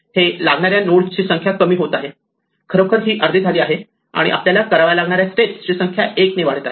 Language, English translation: Marathi, The number of nodes for which this is required is shrinking, itÕs halving actually and the number of steps for which we have to do it is increasing by 1